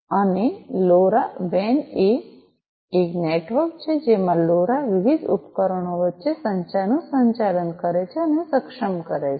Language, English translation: Gujarati, And LoRa WAN is a network in which LoRa operates and enables communication between different devices